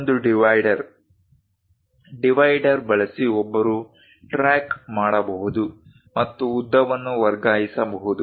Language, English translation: Kannada, The other one is divider, using divider, one can track and transfer lengths